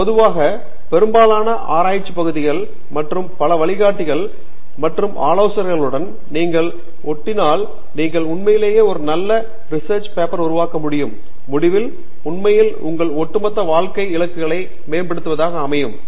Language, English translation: Tamil, In general, one can say that in most research areas and with many guides and advisor, if you drive you will be able to actually make a very good thesis and in the end actually use that for to furthering your overall career goals